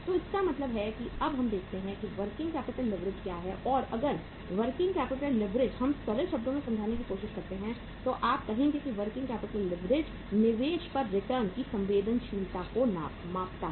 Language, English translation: Hindi, So it means let us see now what is the working capital leverage and if the working capital leverage we try to understand in the simpler terms you would say that working capital leverage measures the sensitivity of return on investment